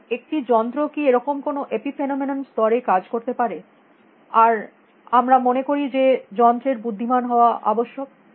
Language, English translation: Bengali, So, can a machine operate at epiphenomenon level like this, and that we feel is necessary for machines to be intelligent